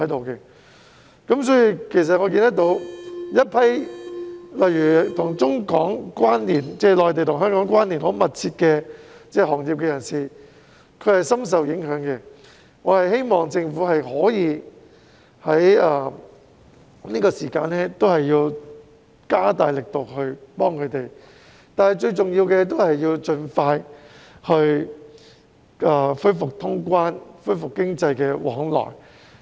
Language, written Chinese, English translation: Cantonese, 一些內地與香港關連很密切的行業的從業員深受影響，我希望政府可以在這段時間加大力度幫助他們，但最重要的，是要盡快恢復通關，恢復經濟往來。, Some practitioners of industries closely connected to the Mainland and Hong Kong have been deeply affected . I hope the Government can step up its efforts to help them and more importantly resume cross - boundary travel and economic activities as soon as possible